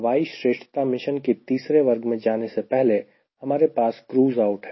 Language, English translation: Hindi, so before i ah come to third category for air superiority mission, we have one is cruise out